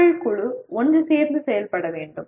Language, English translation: Tamil, A group of people will work together